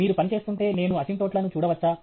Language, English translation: Telugu, If you are working, can I look at asymptotes